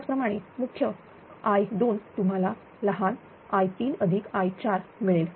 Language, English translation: Marathi, Similarly, i 3 is equal to small i 4